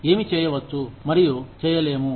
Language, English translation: Telugu, What can, and cannot be done